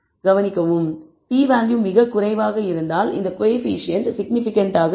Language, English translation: Tamil, And notice if the p value is very low it means that this coefficient is significant